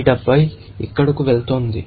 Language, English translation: Telugu, This 70 is going here